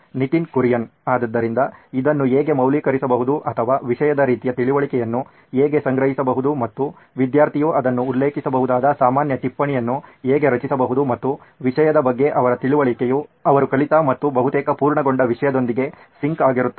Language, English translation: Kannada, So how can this be validated or how can the similar understanding of topic come to pool and create a common note where student can just refer that and his understanding of the topic is in sync with what he has learnt and almost complete